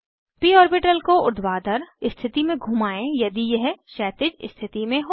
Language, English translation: Hindi, Rotate the p orbital to vertical position if it is in horizontal position